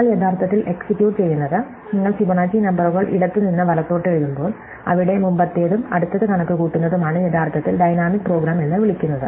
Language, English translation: Malayalam, So, what you were actually executing, when you are writing off the Fibonacci numbers left to right, where there is looking the previous to and computing the next one is actually what is called dynamic program